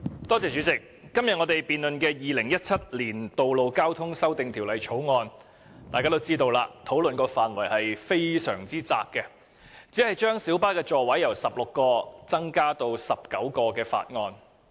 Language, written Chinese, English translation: Cantonese, 主席，我們今天討論的《2017年道路交通條例草案》，大家都知道討論範圍非常狹窄，因為這項法案只是將小巴座位數目由16個增至19個。, President as we all know the scope of discussion on the Road Traffic Amendment Bill 2017 the Bill today is very narrow because the Bill only seeks to increase the seating capacity of light buses from 16 to 19